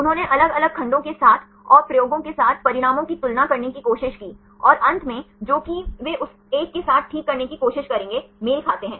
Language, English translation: Hindi, They tried with vary segments and compare the results with the experiments and finally, which will matches they try to fix with that one